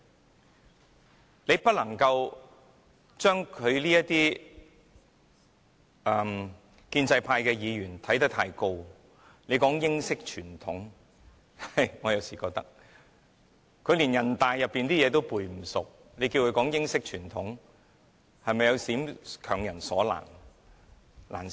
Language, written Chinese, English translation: Cantonese, 我們不能夠將建制派議員看得太高，他們說英式傳統，我有時認為，他們連人大的規則也背不好，叫他們說英式傳統，是否有點強人所難？, We should not think highly of the pro - establishment Members who mention about British tradition . But I sometimes think that when they have difficulties reciting the NPC rules will it be beyond their ability to talk about British tradition?